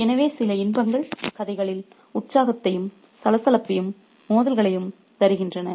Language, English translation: Tamil, So, some pleasures bring excitement, bustle and conflict in the story